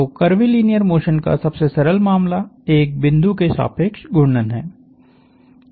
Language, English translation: Hindi, So, the simplest case of curvilinear motion is rotation about a point